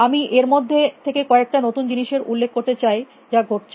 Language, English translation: Bengali, I want to point out the some of this, newer things, which were happening